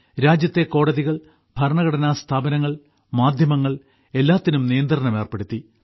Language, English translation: Malayalam, The country's courts, every constitutional institution, the press, were put under control